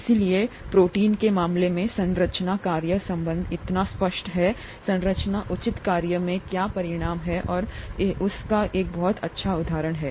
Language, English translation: Hindi, So the structure function relationship is so pronounced in the case of proteins, a proper structure is what results in proper function and this is a very nice example of that